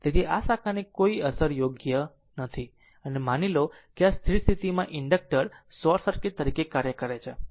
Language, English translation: Gujarati, So, this this ah this ah branch has no effect right and suppose this ah your this at steady state the inductor is acting as a your short circuit right